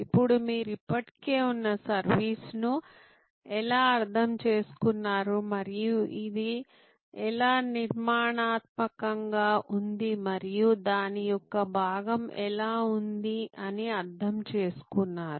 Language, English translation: Telugu, Now, this is how you understand an existing service and how it is structured and it is constituent’s part